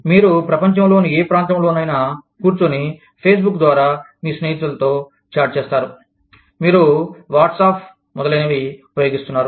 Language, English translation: Telugu, You chat with your friends, sitting in any part of the world, over Facebook, you use WhatsApp, etcetera